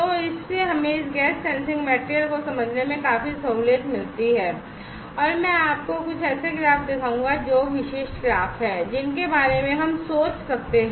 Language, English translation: Hindi, So, this gives us lot of flexibility to understand this gas sensing material and I will show you some of the graphs that typical graphs which we can think of